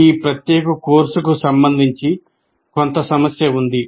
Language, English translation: Telugu, There is some issue with regard to this particular course itself